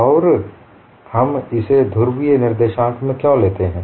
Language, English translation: Hindi, Now we look at the problem in polar co ordinates